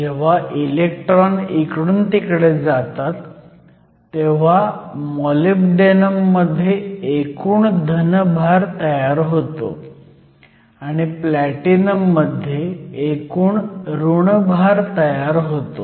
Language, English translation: Marathi, So, when electrons move a net positive charge is created on the Molybdenum side and when these electrons move to Platinum and net negative charge is created